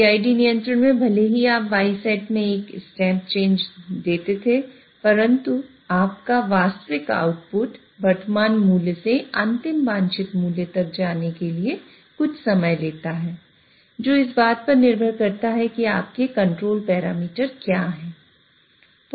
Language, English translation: Hindi, In PIG control even though you gave a set point step change in Y set, your actual output would take some time to go from the current value to the final desired value by depending on what are your controller parameters